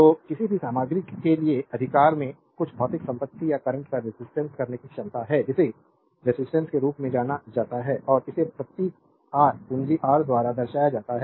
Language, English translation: Hindi, So, that for any material, right it has some physical property or ability to resist current is known as resistance and is represented by the symbol R, capital R these the symbol R